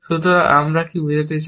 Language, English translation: Bengali, So, what do we mean by this